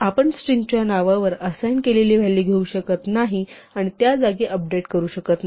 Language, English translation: Marathi, We cannot take a value assigned to a string name and update it in place